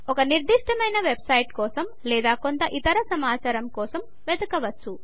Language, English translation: Telugu, One can search for a specific website or for some other information